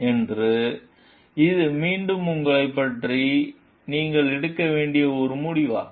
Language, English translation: Tamil, So, this is again a decision that you need to take about yourself